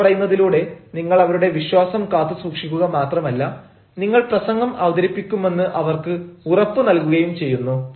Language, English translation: Malayalam, now, by saying this, you have not only kept their faith but at the same time you have assured them that you will be delivering your talk